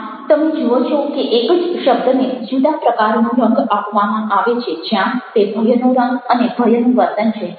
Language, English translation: Gujarati, now you see that when the same word is given a different kind of a colouring where it is the colouring of fear and the and the behavior of fear